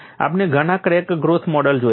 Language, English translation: Gujarati, We have seen several crack growth models